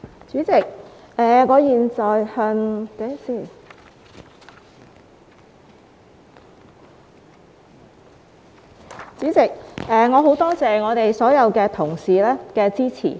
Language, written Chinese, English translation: Cantonese, 代理主席，我十分感謝所有同事的支持。, Deputy Chairman I am grateful to all Members for their support